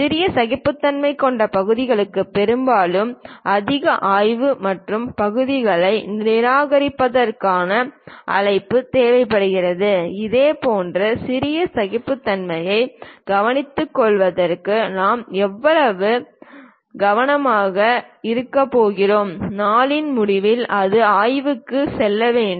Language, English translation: Tamil, Parts with small tolerances often requires greater inspection and call for rejection of parts, how much care we might be going to take to care such kind of small tolerances, end of the day it has to go through inspection